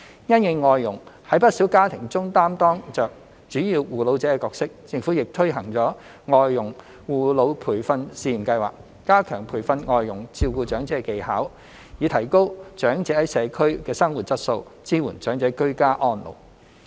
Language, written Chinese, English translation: Cantonese, 因應外傭在不少家庭中擔當着主要護老者的角色，政府亦推行了外傭護老培訓試驗計劃，加強培訓外傭照顧長者的技巧，以提高長者在社區的生活質素，支援長者"居家安老"。, Given that many foreign domestic helpers FDHs play the role of primary carer of elderly persons in many families the Government has also implemented the Pilot Scheme on Training for Foreign Domestic Helpers in Elderly Care to better equip FDHs with skills to care for elderly persons thereby enhancing the elderlys quality of life in the community and supporting their ageing in place